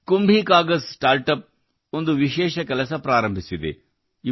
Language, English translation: Kannada, KumbhiKagaz StartUp has embarked upon a special task